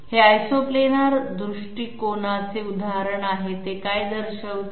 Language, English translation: Marathi, This is an example of Isoplanar approach, what does it show